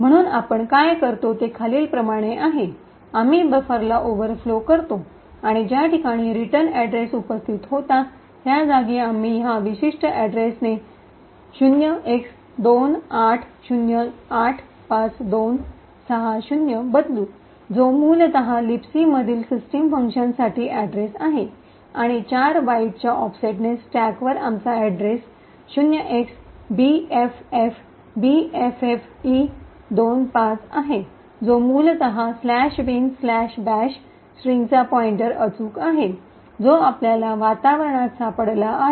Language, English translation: Marathi, So what we do is as follows, we overflow the buffer and at the location where the return address was present we replace it with this particular address 0x28085260, which essentially is the address for the system function present in LibC and at an offset of 4 bytes on the stack we have the address bffbffe25 which essentially is the pointer to the slash bin slash bash string but we have found out in the environment